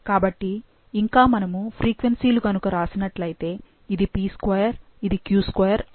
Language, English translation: Telugu, So, and the frequencies if we write, this would be p2, this would be q2, and this would be pq